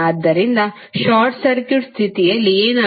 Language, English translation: Kannada, So what will happen under a short circuit condition